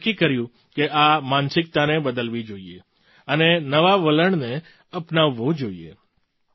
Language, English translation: Gujarati, We decided that this mindset has to be changed and new trends have to be adopted